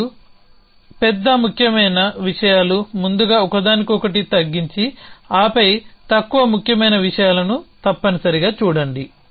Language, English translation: Telugu, And look at the larger more important things for first an less them and then look at the less important things essentially